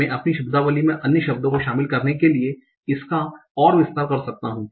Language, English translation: Hindi, I can further expand it to include other words in my vocabulary